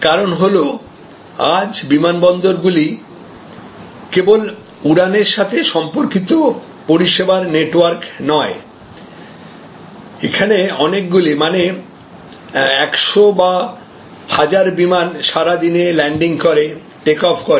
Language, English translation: Bengali, The reason being that today, the airports are not only networks of flying related services; that means, where number of aircrafts land, number of aircrafts take off, in fact 100s and 1000s of landings and take offs happen over the day